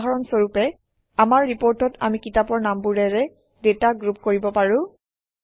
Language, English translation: Assamese, For example, in our report, we can group the data by Book titles